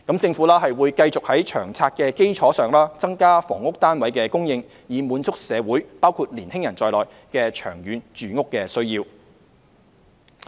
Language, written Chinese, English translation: Cantonese, 政府會繼續在《長策》的基礎上，增加房屋單位的供應，以滿足社會的長遠住屋需要。, The Government will also continue to increase the supply of housing units on the basis of LTHS to meet the long - term housing needs of the community including young people